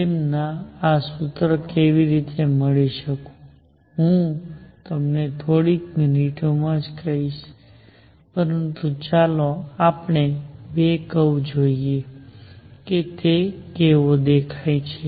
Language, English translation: Gujarati, How they got this formula, I will tell you in a few minutes, but let us see the two curves how do they look